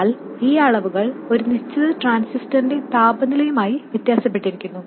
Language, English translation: Malayalam, But these quantities vary with temperature for a given transistor and also they vary from transistor to transistor